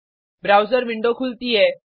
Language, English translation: Hindi, The browser window opens